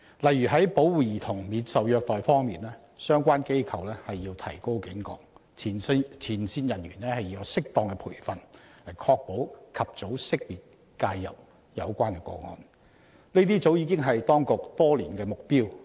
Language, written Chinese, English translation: Cantonese, 例如，在保護兒童免受虐待方面，相關機構必須提高警覺，前線人員要有適當培訓，以確保"及早識別及介入"有關個案，這些早已是當局多年的目標。, For example as regards protection of children against abuse relevant organizations must stay vigilant and frontline workers need to undergo appropriate training to ensure early identification and intervention of such cases . These have long since been the goals of the authorities over the years